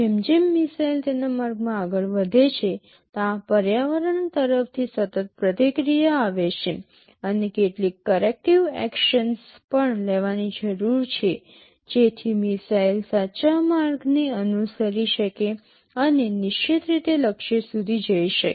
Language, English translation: Gujarati, As the missile flows in its trajectory, there is continuous feedback from the environment and there are some corrective actions that need to be taken such that the missile can follow the correct path and hit the target in a precise way